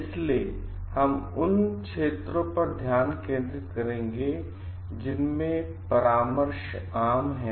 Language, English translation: Hindi, So, we will focus into areas in which consultancies are common